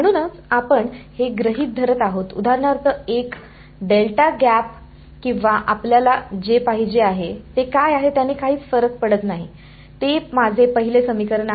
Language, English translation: Marathi, So, this we are assuming, for example, a delta gap or whatever you want does not matter what it is, that is my first equation